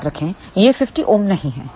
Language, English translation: Hindi, Remember this is not 50 ohm